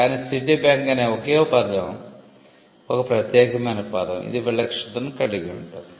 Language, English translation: Telugu, But together Citibank is a unique word which gives distinct which has distinctiveness